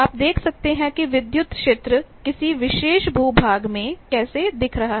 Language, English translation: Hindi, You can see that how the electric field is looking place in a particular terrain